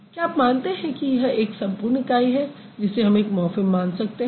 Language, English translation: Hindi, Do you think this has this entire unit adder can be considered as one morphem